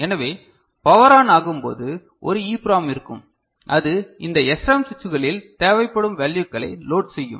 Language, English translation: Tamil, So, during powered on, an EPROM will be there to load the necessary values in this SRAM switches ok